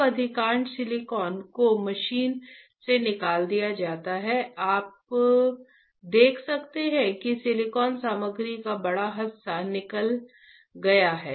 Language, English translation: Hindi, Now, the bulk of the silicon is machined is taken out right, here you can see bulk of the silicon material is taken out